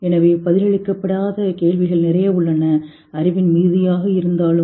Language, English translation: Tamil, So there are a lot of questions which are unanswered in spite of the plethora of knowledge